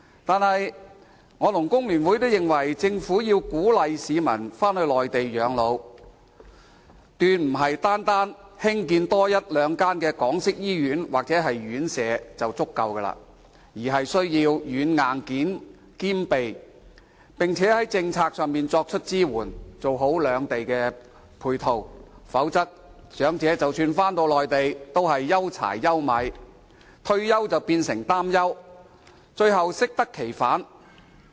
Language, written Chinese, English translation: Cantonese, 可是，我和工聯會都認為，政府要鼓勵市民返回內地養老，決不是單單多建一兩間港式醫院或院舍便足夠，而是要軟、硬件兼備，並且在政策上作出支援，做好兩地配套，否則，長者即使返回內地，也是憂柴憂米，退休變成擔憂，最後適得其反。, Nevertheless both FTU and I think that if the Government is to encourage people to live their twilight years in the Mainland it must provide both software and hardware facilities instead of merely building one or two more Hong Kong - style hospitals or residential care homes alone . There should also be support at policy level to ensure coordination between the two places . Otherwise even if the elderly reside in the Mainland they will still have to worry whether they can make ends meet